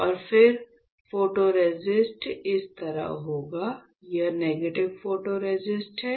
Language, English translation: Hindi, And then I will have my photoresist like this, this is my negative photoresist, alright